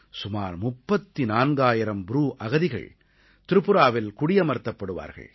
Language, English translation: Tamil, Around 34000 Bru refugees will be rehabilitated in Tripura